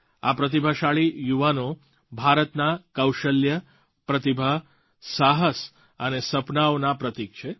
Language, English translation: Gujarati, These promising youngsters symbolise India's skill, talent, ability, courage and dreams